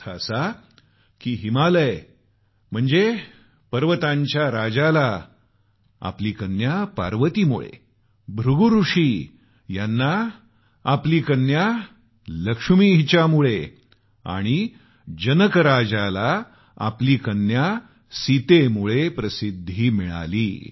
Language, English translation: Marathi, Which means, Himwant, Lord Mount attained fame on account of daughter Parvati, Rishi Brighu on account of his daughter Lakshmi and King Janak because of daughter Sita